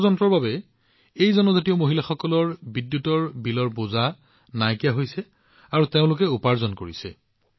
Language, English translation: Assamese, Due to the Solar Machine, these tribal women do not have to bear the burden of electricity bill, and they are earning income